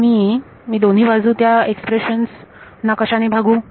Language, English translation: Marathi, Now I can divide this expression on both sides by